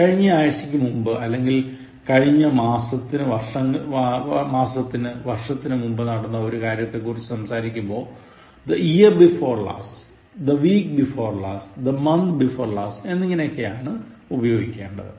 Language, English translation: Malayalam, To talk about something that took place before last week/last month/last year use this form like, the year before last, you say the week before last, the month before last, etc